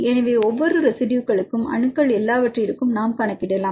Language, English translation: Tamil, So, we can calculate for each residues and all atoms